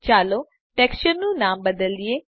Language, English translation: Gujarati, lets rename this texture